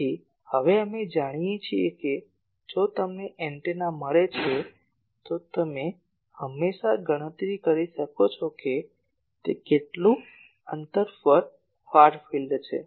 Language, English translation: Gujarati, So, now we know if you get a antenna you always can calculate that, at what distance it will have a far field